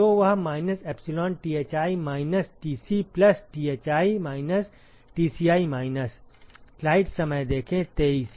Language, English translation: Hindi, So, that will be minus epsilon Thi minus Tci plus Thi minus Tci minus